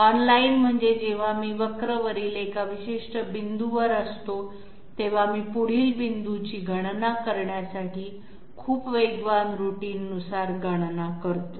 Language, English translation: Marathi, Online means that when I am at a particular point on the curve, I do calculation to compute the next point by some sort of you know, some sort of very fast routine